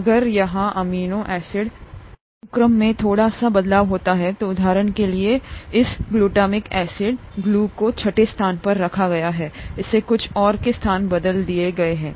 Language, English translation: Hindi, If there is a slight change in the amino acid sequence here, for example this glutamic acid, at the sixth position, has been replaced with something else